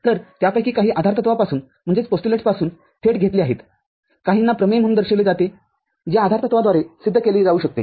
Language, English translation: Marathi, So, some of them are directly derived from the postulates some are represented as theorem which can be proved by the postulates